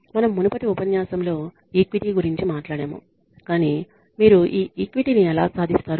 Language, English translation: Telugu, You conduct the, we talked about equity in a previous lecture, but how do you achieve this equity